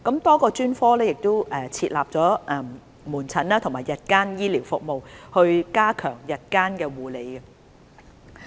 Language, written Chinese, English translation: Cantonese, 多個專科會設立門診及日間醫療服務，以加強日間護理。, Outpatient and ambulatory services will be available in a number of specialties to enhance ambulatory care